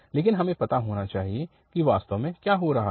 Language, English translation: Hindi, But we should know that what is exactly happening